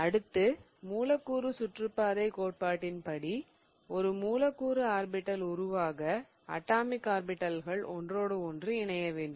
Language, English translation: Tamil, And according to the molecular orbital theory, we have a molecular orbital form because of the overlap of the two atomic orbitals